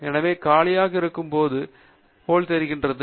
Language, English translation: Tamil, So when it is empty it looks like this